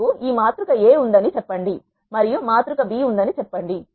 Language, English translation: Telugu, Let us suppose we have two matrices A and B which are shown here